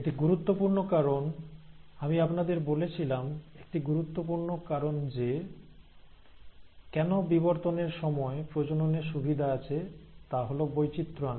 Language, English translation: Bengali, Now that is important, because remember, I told you one important reason why there was advantage of sexual reproduction during evolution, is to bring in variation